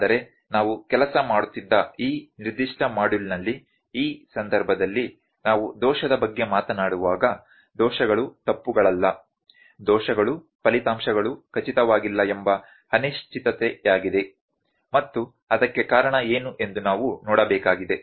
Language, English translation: Kannada, But in this context in this specific module in which we were working, when we will talk about error, the errors are not mistakes, errors is just uncertainty that the results are not certain and we just need to see what is the reason for that